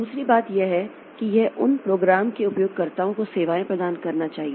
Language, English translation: Hindi, Second thing is that it should provide services to the users of those programs